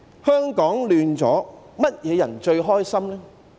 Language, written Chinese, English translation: Cantonese, 香港混亂，誰最開心呢？, Who is the happiest when Hong Kong is in chaos?